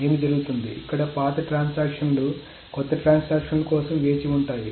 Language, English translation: Telugu, What happens is that here the older transactions wait for newer transactions